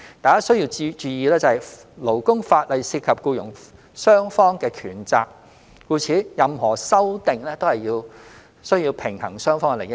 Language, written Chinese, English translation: Cantonese, 大家須注意，勞工法例涉及僱傭雙方的權責，故此，任何修訂均需平衡雙方的利益。, It is important for Members to note that labour laws involve the rights and responsibilities of both employers and employees and therefore any amendments must balance the interests of both parties